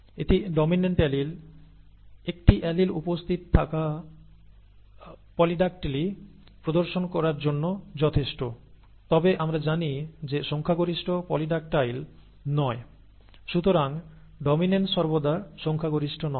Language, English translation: Bengali, It is the dominant allele, one allele being present is sufficient to exhibit polydactyly, but we know that a majority are not polydactyl, right